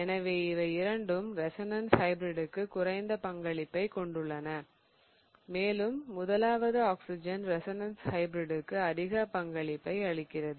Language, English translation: Tamil, So, both of these are kind of less contributing towards the resonance hybrid and the first one is much more contributing towards the resonance hybrid